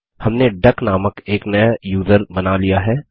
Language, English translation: Hindi, We have created a new user called duck